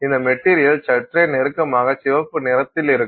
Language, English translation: Tamil, So, this material will look somewhat, you know, somewhat closer to red, red in color